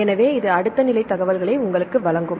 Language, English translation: Tamil, So, this will give you the next level of information